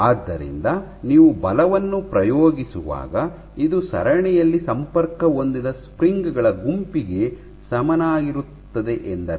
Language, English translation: Kannada, So, this would mean that when you are exerting force since it is, so it is equivalent to a bunch of springs which are connected in series